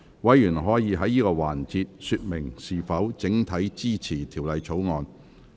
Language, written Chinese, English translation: Cantonese, 委員可在此環節說明是否整體支持《條例草案》。, In this session Members may indicate whether they support the Bill as a whole